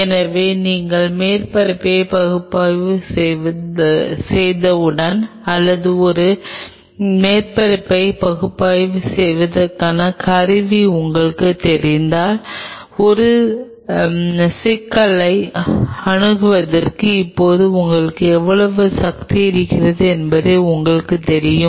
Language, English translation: Tamil, So, once you analyse the surface or you know the tools to analyse a surface you know how much power you have now really to approach to a problem